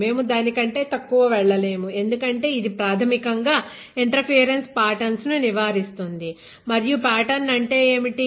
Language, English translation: Telugu, We cannot go lesser than that because it is fundamentally avoid interference patterns and what is a pattern that is formed on the wafer correct